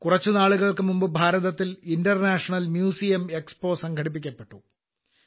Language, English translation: Malayalam, A few days ago the International Museum Expo was also organized in India